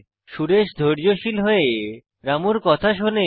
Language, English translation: Bengali, Suresh listens to Ramu patiently